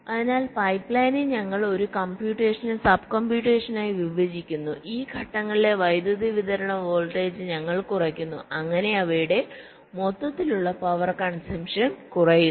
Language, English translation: Malayalam, so we are splitting a computation into smaller sub computation in a pipe line and we are reducing the power supply voltage of these stages their by reducing the overall power consumption